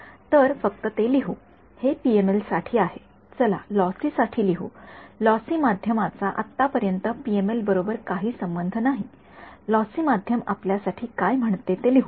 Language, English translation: Marathi, So, this is for let us just write it this is for PML ok, let us write down for lossy; lossy medium has no relation so, far with PML right let just write down what the lossy medium says for us